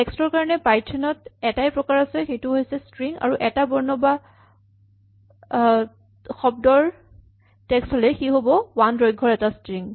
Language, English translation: Assamese, So, there is only one type for text in python, which is string, and a single character is indistinguishable from a string of length 1